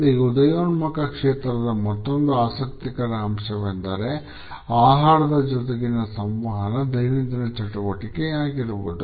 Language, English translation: Kannada, Another aspect which is interesting about this emerging area is that the communication related with food has an everydayness